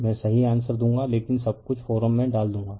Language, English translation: Hindi, I will give you the correct answer, but put everything in the forum